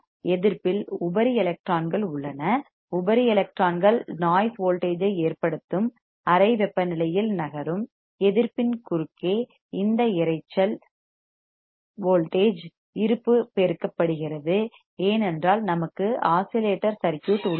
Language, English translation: Tamil, Resistance has free electrons, free electrons move at the room temperature that causes a noise voltage, this noise voltage presence across the resistance are amplified, because we have oscillator circuit